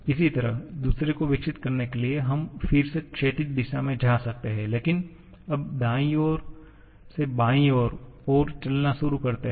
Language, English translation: Hindi, Similarly, if we for developing the second one, we can again go in the horizontal direction but now starting from the right moving to the left